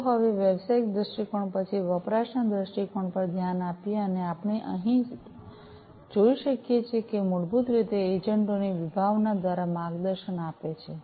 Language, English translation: Gujarati, So, let us now after the business viewpoint look at the usage viewpoint and as we can see over here it is basically guided through the concept of the agents